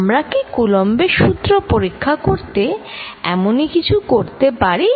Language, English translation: Bengali, Can we do a similar thing to check Coulombs law